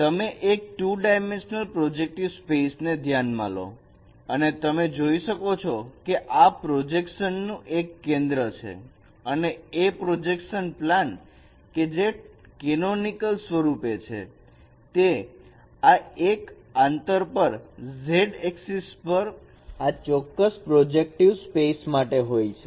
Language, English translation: Gujarati, So you consider a projective space, two dimensional projective space and you can see that O is the center of projection and a projection plane which is in the canonical form is placed at a distance 1 along the Z axis of this particular projective space